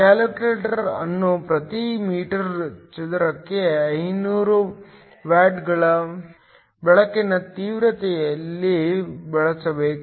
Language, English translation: Kannada, The calculator is to be used at a light intensity of 500 watts per meter square